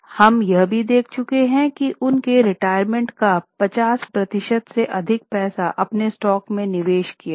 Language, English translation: Hindi, We have already seen this, that more than 50% of their retirement money was invested in their own stock